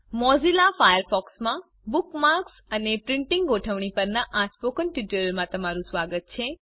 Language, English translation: Gujarati, Welcome to the Spoken Tutorial on Organizing Bookmarks and Printing in Mozilla Firefox